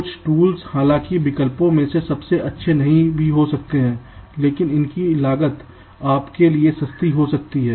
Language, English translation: Hindi, some of the tools, though, may not be the best possible among the alternatives, but the cost may be affordable for you to go for that